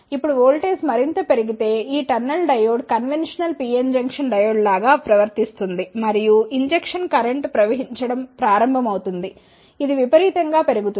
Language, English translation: Telugu, Now, if voltage is increased further this tunnel diode will behave like a conventional PN junction diode and the injection current will start flowing which increases exponentially